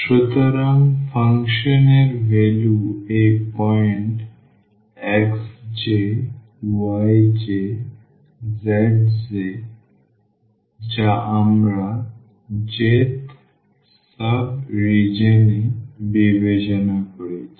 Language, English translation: Bengali, So, the function value at this point x j, y j, z j which we have considered in j’th sub region